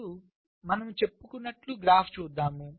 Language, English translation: Telugu, now let us look at the graph, as i had said